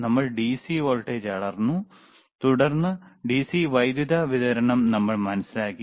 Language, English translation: Malayalam, We have measured the DC voltage, then we have measured we have measured the we understood the DC power supply,